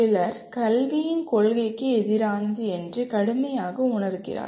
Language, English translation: Tamil, Some people strongly feel it is against the spirit of education itself